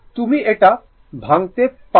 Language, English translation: Bengali, You can break it